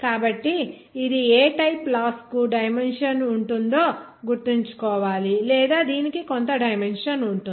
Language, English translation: Telugu, So this you have to remember what type of laws a dimension this or that will have some dimension